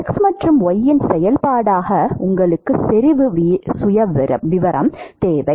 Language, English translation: Tamil, And you need the concentration profile as a function of x and y